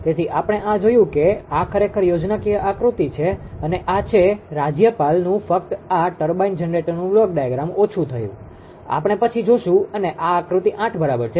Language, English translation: Gujarati, So this this we have seen this is actually schematic diagram, and this is that reduced block diagram of the governor only this turbine generator, we will see later and this is figure eight right